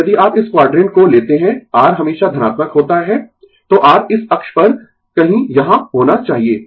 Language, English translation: Hindi, Now, if you take this quadrant R is always positive, so R should be somewhere here on this axis